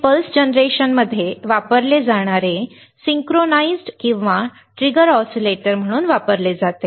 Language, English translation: Marathi, It is used as a synchronized or trigger oscillators also used in pulse generation